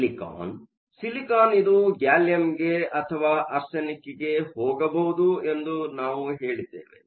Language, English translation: Kannada, Silicon, we said silicon can go either to gallium or to arsenic